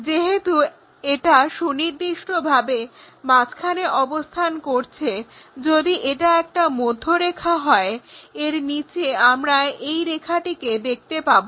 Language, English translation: Bengali, Because it is precisely located at midway if something like midline is that one below that we will see that line